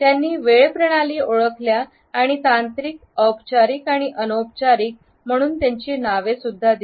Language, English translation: Marathi, He has recognized three time systems and named them as technical, formal and informal